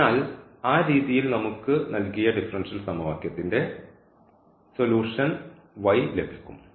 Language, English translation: Malayalam, So, this will be the solution here for this given differential equation this linear differential equation